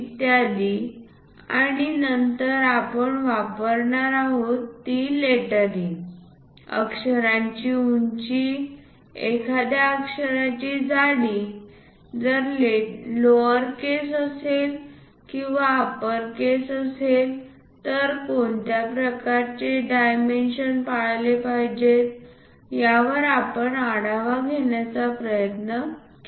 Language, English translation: Marathi, And then we covered what are the lettering to be used, what should be the height of a letter, thickness of a letter if it is a lowercase, if it is a uppercase what kind of dimensions one should follow we try to look at